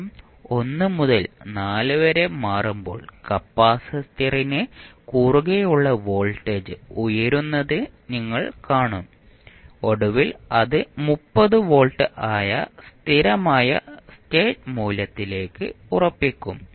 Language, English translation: Malayalam, You will see when time is changing from 1 to 4 the voltage across capacitor is rising and finally it will settle down to the steady state value that is 30 volts